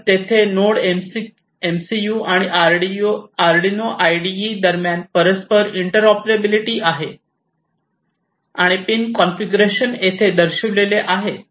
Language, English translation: Marathi, So, there is interoperability between the NodeMCU and the Arduino IDE and the pin configurations are shown over here this is the pin configuration